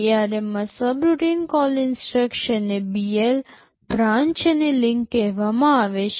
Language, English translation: Gujarati, In ARM the subroutine call instruction is called BL, branch and link